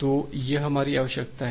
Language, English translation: Hindi, So, that is our requirement